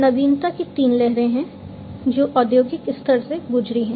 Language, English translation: Hindi, So, there are three waves of innovation that have gone through in the industrial level